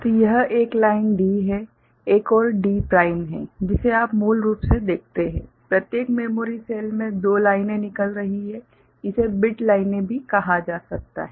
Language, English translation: Hindi, So, this is one line D, another is D prime that what you see basically so, from each memory cell 2 lines are coming out ok, it can be also called bit lines